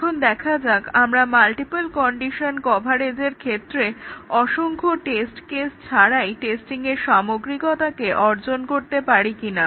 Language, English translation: Bengali, Now, let us see can we achieve the thoroughness of testing of multiple condition coverage without having an exponential number of test cases